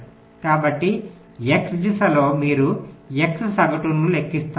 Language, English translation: Telugu, so, along the x direction, you calculate the x mean